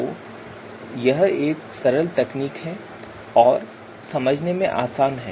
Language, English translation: Hindi, Simple technique, easy to understand